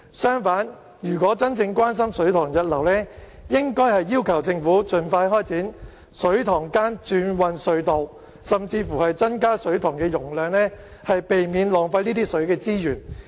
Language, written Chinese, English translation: Cantonese, 相反，如果真正關心水塘溢流，應該要求政府盡快開展水塘間轉運隧道計劃，甚至增加水塘容量，避免浪費水資源。, On the contrary if she had been really concerned about the problem of reservoir overflow she should have requested the Government to implement the Inter - reservoirs Transfer Scheme or increase the reservoir capacities in order to prevent wastage of water resources